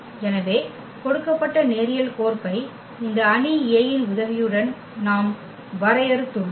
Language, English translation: Tamil, So, the given linear map we have defined with the help of this matrix A